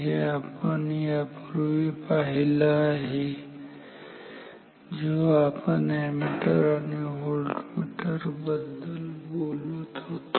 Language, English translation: Marathi, We have seen this before when talking about ammeters and voltmeters